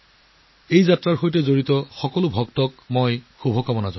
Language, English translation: Assamese, I wish all the devotees participating in these Yatras all the best